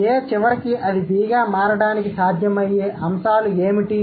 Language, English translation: Telugu, So, what could be the possible things that A had and eventually it has turned into B